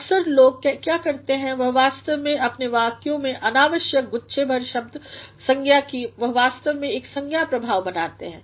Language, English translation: Hindi, Sometimes what people do is, they actually load their sentences with unnecessary noun clusters, they actually create a noun effect